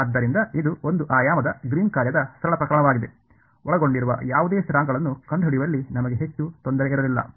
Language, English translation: Kannada, So, this was the sort of simple case of one dimensional Green’s function; we did not have much trouble in finding out any of the constants involved